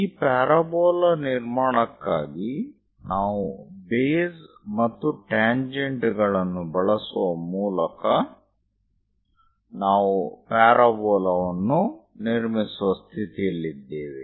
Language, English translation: Kannada, For this parabola construction, what we have used is, by using base and tangents, we are in a position to construct parabola